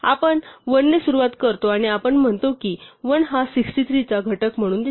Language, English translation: Marathi, So, we start with 1 and we say does 1 appear as a factor of 63